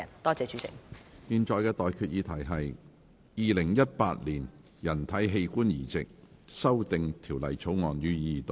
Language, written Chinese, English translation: Cantonese, 我現在向各位提出的待決議題是：《2018年人體器官移植條例草案》，予以二讀。, I now put the question to you and that is That the Human Organ Transplant Amendment Bill 2018 be read the Second time